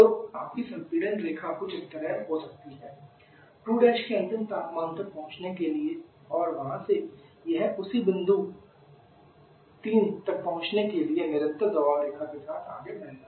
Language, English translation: Hindi, So, your compression line, may be some work like this the final temperature of 2 prime and from the it will process along the constant pressure line to reach the same state point 3